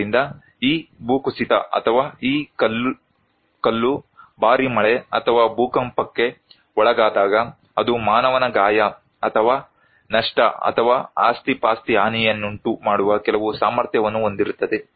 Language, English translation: Kannada, So, we are talking about hazards that this landslide or this stone when it is exposed to heavy rainfall or earthquake, it can have some potentiality to cause human injury or loss or property damage